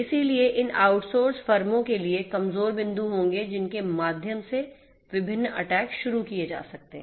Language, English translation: Hindi, So, those out sourced firms will be vulnerable points through which different attacks might be launched